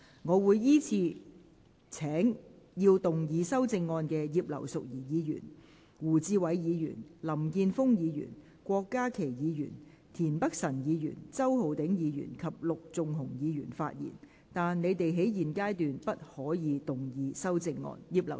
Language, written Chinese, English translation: Cantonese, 我會依次請要動議修正案的葉劉淑儀議員、胡志偉議員、林健鋒議員、郭家麒議員、田北辰議員、周浩鼎議員及陸頌雄議員發言；但他們在現階段不可動議修正案。, I will call upon Members who move the amendments to speak in the following order Mrs Regina IP Mr WU Chi - wai Mr Jeffrey LAM Dr KWOK Ka - ki Mr Michael TIEN Mr Holden CHOW and Mr LUK Chung - hung; but they may not move the amendments at this stage